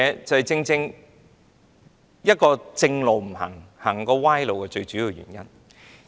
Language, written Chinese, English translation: Cantonese, 這正是"不走正路走歪路"的最主要原因。, Now this is the main reason for taking the wrong path instead of the right way